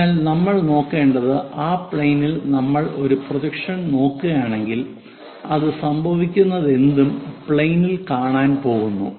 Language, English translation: Malayalam, So, what we have to look at is on to that plane if we are looking at a projection, whatever it is happening that we are going to see it